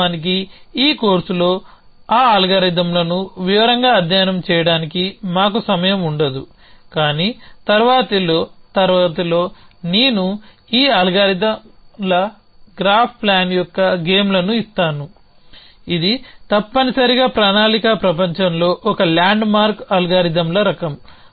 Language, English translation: Telugu, Off course, we would not have time to study those algorithms in details in this course, but in the next class I will just give a games of this algorithms Graph plan which is kind of a land mark algorithms in the world of planning essentially